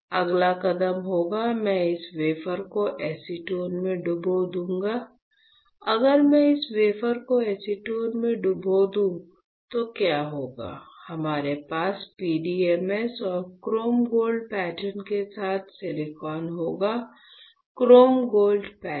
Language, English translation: Hindi, Next step would be, I will dip this wafer in acetone; if I dip this wafer in acetone what will happen, we will have silicon with PDMS and chrome gold pattern, is not it, chrome gold pattern